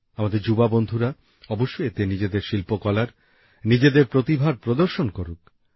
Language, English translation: Bengali, Our young friends must showcase their art, their talent in this